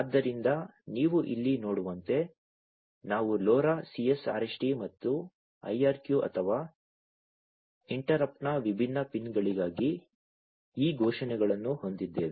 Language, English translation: Kannada, So, as you can see over here we have these declarations for the different pins of LoRa CS RST and IRQ or interrupt, right